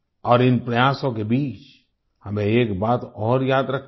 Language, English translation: Hindi, And in the midst of all these efforts, we have one more thing to remember